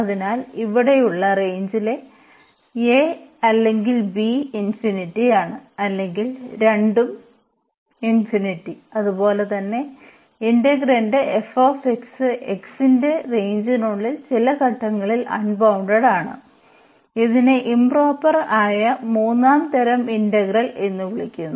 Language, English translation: Malayalam, So, the range one of the range here either a or this b is infinity or both are infinity as well as the f x the integrand here is also unbounded at some point in the within the range of this x then we call that this is the third kind of improper integral